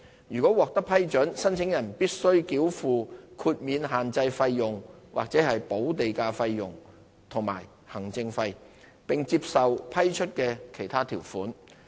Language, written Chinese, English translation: Cantonese, 如獲批准，申請人須繳付豁免限制費用/補地價費用和行政費，並接受批出的其他條款。, If the application is approved the applicant will have to pay a waiver feeland premium and an administrative fee and accept other terms and conditions stipulated